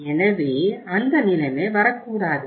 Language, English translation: Tamil, So that situation should not come